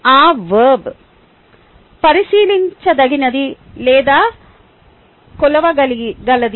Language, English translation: Telugu, that verb should be either observable or measurable